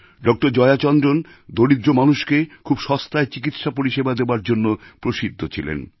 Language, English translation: Bengali, Jayachandran was known for his efforts of making the most economical treatment possible available to the poor